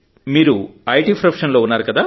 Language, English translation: Telugu, You are from the IT profession,